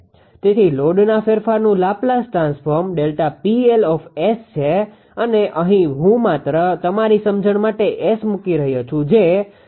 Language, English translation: Gujarati, So, Laplace transform of the change in load delta P L S and here I am putting S right just for your understanding will be minus 0